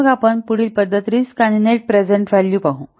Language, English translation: Marathi, So next we'll see the next method that the risk and the net present value